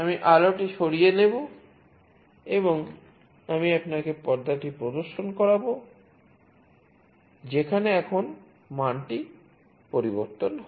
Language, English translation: Bengali, I will take away the light and I will show you the screen, where the value changes now you see